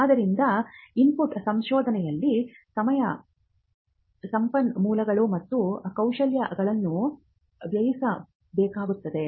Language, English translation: Kannada, So, the input part involves spending time, resources and skill in research